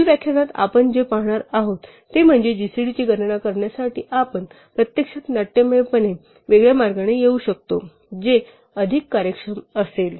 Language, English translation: Marathi, What we will see in the next lecture is that we can actually come up with a dramatically different way to compute gcd, which will be much more efficient